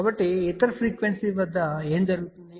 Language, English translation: Telugu, So, what happens at other frequencies